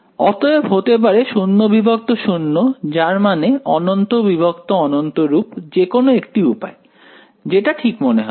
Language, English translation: Bengali, So, either 0 by 0 or 0 I mean infinity by infinity form whichever way right